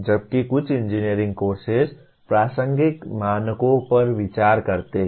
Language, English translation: Hindi, Whereas a few engineering courses do consider relevant standards